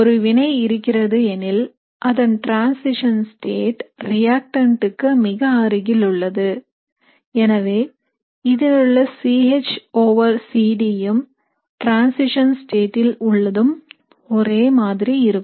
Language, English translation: Tamil, So if you have the reaction, the transition state very close to the reactant, so the C H over C D here and in the transition state will be very similar